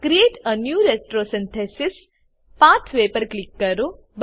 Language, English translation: Gujarati, Click on Create a new retrosynthesis pathway